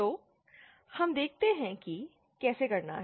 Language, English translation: Hindi, So, let us see how to do that